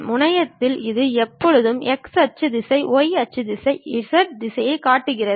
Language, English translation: Tamil, On the terminal it always shows you the x axis direction, y axis direction, z direction also